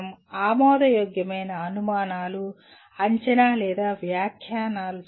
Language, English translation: Telugu, Making plausible inferences, prediction or interpretations